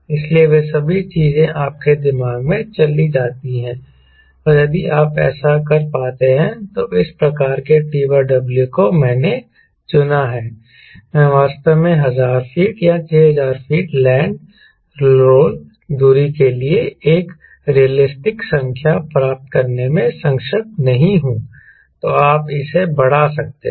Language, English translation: Hindi, and if you find, doing this, ah, this type of t by w i have selected i am not able to really getting a realistic number for thousand feet or six thousand feet land role distance then you can increase this